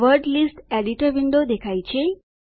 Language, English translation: Gujarati, The Word List Editor window appears